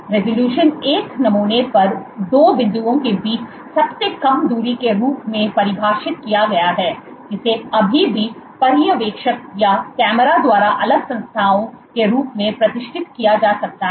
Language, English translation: Hindi, So, the resolution is defined as the shortest distance between 2 points on a specimen that can still be distinguished by the observer or camera as separate entities